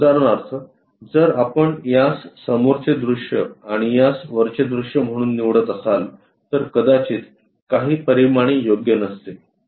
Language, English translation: Marathi, For example, if we are going to pick this one as the front view and this one as the top view, some of the dimensions might not be appropriate